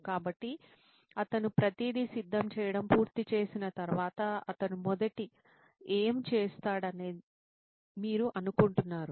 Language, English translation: Telugu, So once he is done with preparing everything what do you guys think he would be doing first after